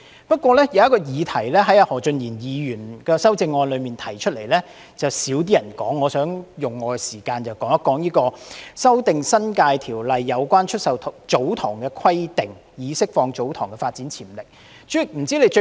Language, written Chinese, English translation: Cantonese, 不過，在何俊賢議員的修正案中，有一項議題較少人談及，我想用我的發言時間討論"修訂《新界條例》有關出售祖堂地的規定，以釋放祖堂地的發展潛力"。, However very little has been said about a topic raised in Mr Steven HOs amendment . I would like to spend my speaking time on amending the stipulations in the New Territories Ordinance on the sale of TsoTong lands to release the development potential of such lands